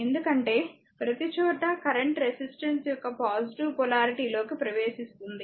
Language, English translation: Telugu, Because everywhere current is entering into the your positive polarity of the resistance